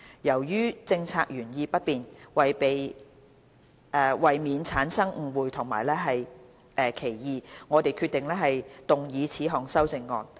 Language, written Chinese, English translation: Cantonese, 由於政策原意不變，為免產生誤會和歧義，我們決定動議此項修正案。, Since the policy intent remains unchanged we decided to move this amendment to avoid misunderstanding and ambiguities